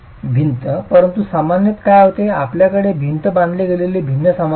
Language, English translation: Marathi, But typically what happens is you have a different material on which the wall is constructed